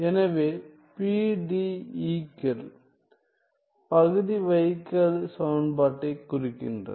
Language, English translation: Tamil, So, PDEs denote partial differential equation